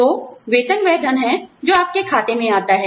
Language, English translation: Hindi, So, salary is the money, that comes into your account